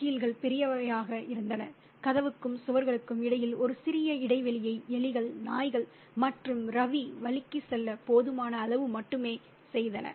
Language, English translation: Tamil, The hinges were large and made a small gap between the door and the walls, only just large enough for rats, dogs and possibly Ravi to slip through